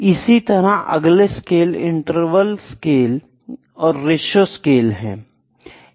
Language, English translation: Hindi, So, the difference between the interval and ratio scale is that